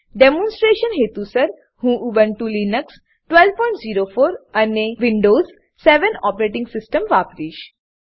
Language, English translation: Gujarati, For demonstration purpose, I will be using Ubuntu Linux 12.04 and Windows 7 operating system